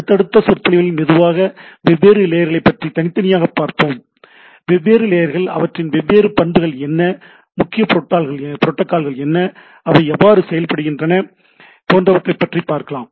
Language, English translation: Tamil, And in the subsequent lecture slowly what will start we will look at different layers individually right, that how different layers individually what are the different properties, what are the predominant protocols, how they work and so on and so forth right